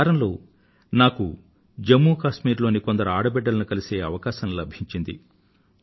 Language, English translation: Telugu, Just last week, I had a chance of meeting some daughters of Jammu & Kashmir